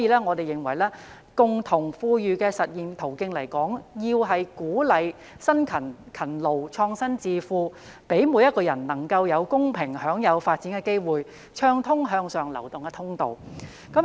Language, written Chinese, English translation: Cantonese, 我們認為，共同富裕的實現途徑來說，要鼓勵辛勤、勤勞、創新致富，讓每個人能夠有公平享有發展的機會，暢通向上流動的通道。, In our view the way to achieve common prosperity requires encouragement of hard work and innovation for a prosperous future equal accessibility to development opportunities for everyone and provision of a clear road to upward mobility